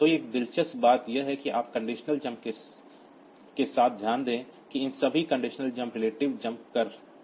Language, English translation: Hindi, So, one interesting thing that you note with the conditional jumps is that the all these condition jumps they are relative jump